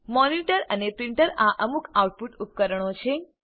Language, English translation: Gujarati, Monitor and printer are some of the output devices